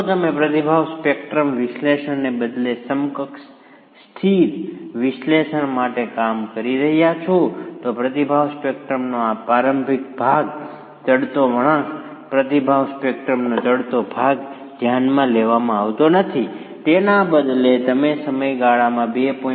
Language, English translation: Gujarati, If you are working with equal in static analysis, equal in static analysis instead of the response spectrum analysis, this initial part of the response spectrum, the ascending curve, the ascending portion of the response spectrum is not considered and instead you start with a value of 2